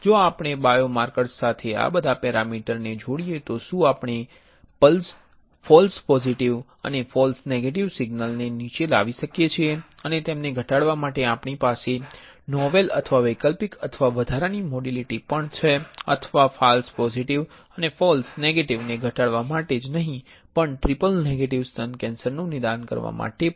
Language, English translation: Gujarati, If we couple all these parameters along with biomarkers can we bring the false positive and false negative signals down and can we also have a novel or alternative or additional modality is to reduce them or to not only reduce the false positive and false negative but also to diagnose triple negative breast cancer